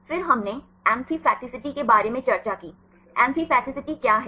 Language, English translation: Hindi, Then we discussed about amphipathicity like; what is amphipathicity